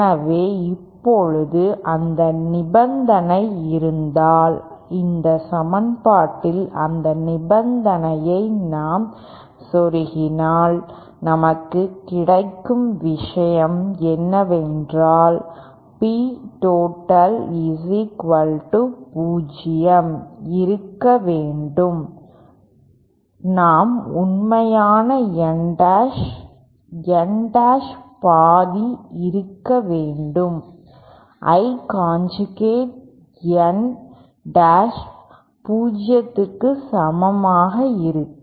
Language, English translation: Tamil, So now if that condition is, if we if we plug that condition in this equation then what we get is that for real value of P total to be equal to 0 we should have half of real N dash N dash, I conjugate N dash should be equal to 0